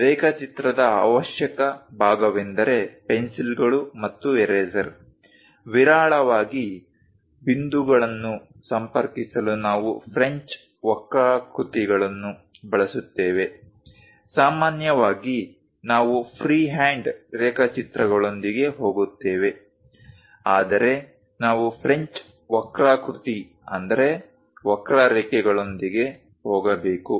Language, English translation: Kannada, The essential part of drawing is pencils and eraser; rarely, we use French curves to connect points; usually, we go with freehand sketches, but required we go with French curves as well